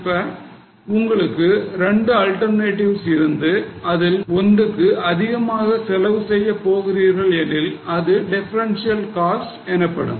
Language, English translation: Tamil, So, if you have two alternatives and if you are going to incur any extra expense by that alternative, then it is called as a differential cost